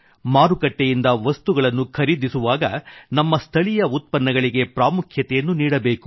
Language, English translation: Kannada, While purchasing items from the market, we have to accord priority to local products